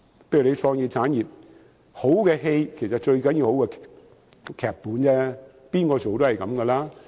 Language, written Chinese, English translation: Cantonese, 例如創意產業，好的電影最重要有好的劇本，誰人飾演也一樣。, For example in the creative industries a good script makes a good movie while a change in the cast is not a big deal